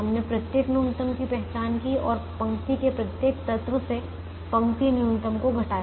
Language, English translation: Hindi, we identified the row minimum and subtracted the row minimum from every element of the row, the first row